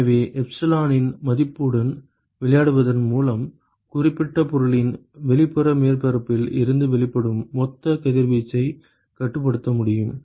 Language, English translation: Tamil, So, by playing with the value of epsilon, we should be able to control the total amount of radiation that is emitted by the outer surface of that particular object